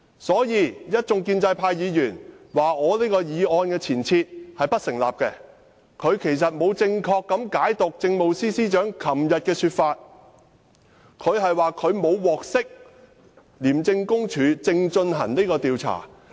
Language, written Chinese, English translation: Cantonese, 所以，建制派議員批評這項議案的前設並不成立，其實他們沒有正確解讀政務司司長昨天的說法，她說："她沒有獲悉廉署正進行這項調查"。, Pro - establishment Members have criticized that the premise of this motion is not established . In fact they have not correctly interpreted what the Chief Secretary said yesterday . She said that she has not been informed that ICAC is conducting an investigation